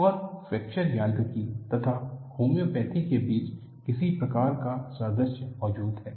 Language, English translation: Hindi, And some kind of an analogy exists, between fracture mechanics and homeopathy